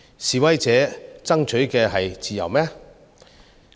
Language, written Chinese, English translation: Cantonese, 示威者爭取的是自由嗎？, Are the protesters truly fighting for freedom?